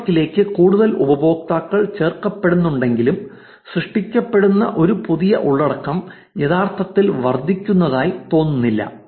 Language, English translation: Malayalam, Even though there are more users that are getting added to the network, it does not look like the new content that is getting generated is actually increasing